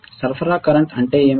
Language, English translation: Telugu, What is the supply current